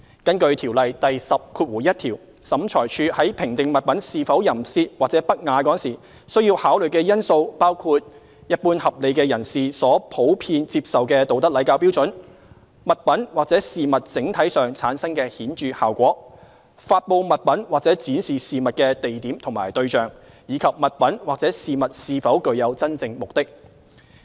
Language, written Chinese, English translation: Cantonese, 根據《條例》第101條，審裁處在評定物品是否淫褻或不雅時，須考慮的因素包括一般合理的社會人士所普遍接受的道德禮教標準；物品或事物整體上產生的顯著效果；發布物品或展示事物的地點和對象；以及物品或事物是否具有真正目的。, Pursuant to section 101 of COIAO when classifying whether an article is obscene or indecent OAT shall have regard to standards of morality decency and propriety that are generally accepted by reasonable members of the community; the dominant effect of an article or of matter as a whole; the location where and the persons to whom the article is published or the matter is displayed; and whether the article or matter has an honest purpose